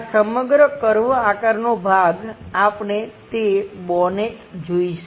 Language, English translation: Gujarati, This entire curved kind of portion, we will see that bonnet